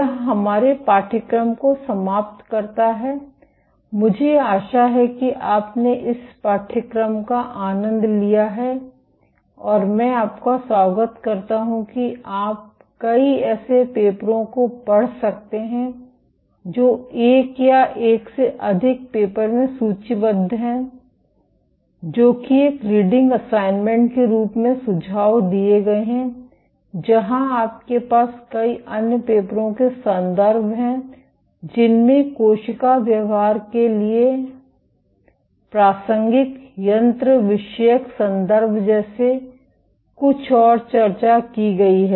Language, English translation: Hindi, This concludes our course I hope you have enjoyed this course and I welcome you to read many of the papers which are listed in one or more of the paper that have suggested a reading assignment where you have references to many other papers which discussed some more other mechanobialogical contexts relevant to cell behavior